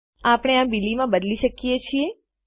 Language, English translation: Gujarati, We can change this to Billy